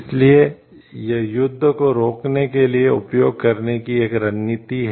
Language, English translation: Hindi, So, it is a strategy to use to prevent war